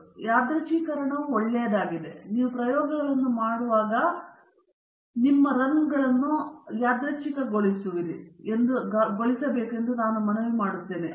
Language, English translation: Kannada, So, randomization is a good idea and I request that when you are doing experiments, you please randomize your order of the runs